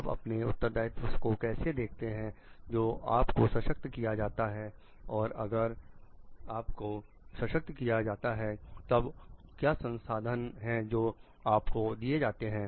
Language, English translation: Hindi, How you see your responsibility, when you are empowering and if you are empowering then what are the resources that you are giving